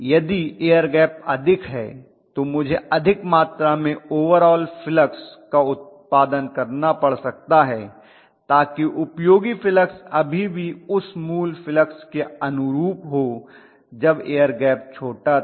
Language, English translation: Hindi, If the air gap is more I might have to produce more overall flux so that the useful flux still corresponding to the original quantity when the air gap was smaller